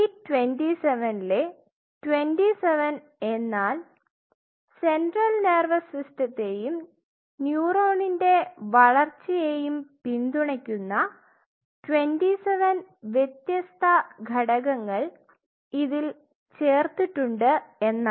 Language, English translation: Malayalam, So, B27 stands for 27 different components which are added to it which primarily supports central nervous system and other neuron growth